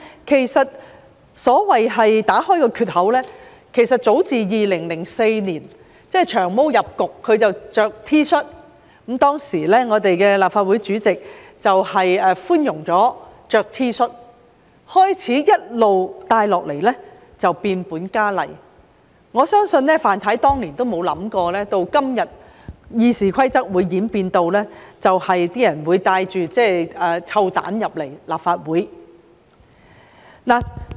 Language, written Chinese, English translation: Cantonese, 其實，所謂打開缺口，早自2004年，即"長毛"進入立法會穿 T 恤出席會議開始，當時的立法會主席容許議員穿 T 恤，自始情況一直變本加厲，我相信范太當年也沒有想過，今天會演變至有人帶臭蛋進入立法會。, Actually the emergence of loopholes so to speak started as early as in 2004 when Long Hair entered the Legislative Council and wore T - shirts in meetings . The then President of the Legislative Council allowed Members to wear T - shirts . Since then the situation kept worsening